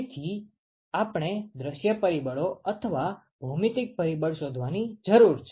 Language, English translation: Gujarati, So, we need to find the view factor or the geometric factor